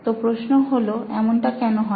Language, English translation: Bengali, The question why this happens